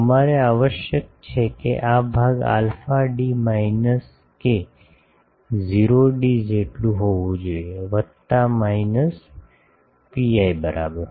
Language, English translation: Gujarati, We require that this part should be how much alpha d minus k not d should be equal to plus minus pi